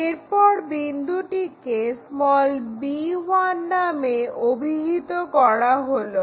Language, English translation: Bengali, Where it is going to intersect let us call b1